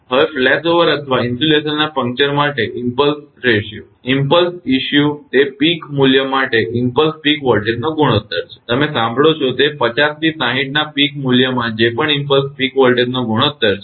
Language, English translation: Gujarati, Now, impulse ratio for flashover or puncture of insulation, impulse issue it is the ratio of impulse peak voltage to the peak value, you look listen it is the ratio of the impulse peak voltage whatever you have to the peak value of the 50 to 6 either 50 Hertz system or 60 Hertz system